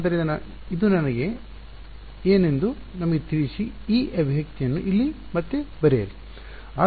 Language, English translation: Kannada, So, what is this let us rewrite this expression over here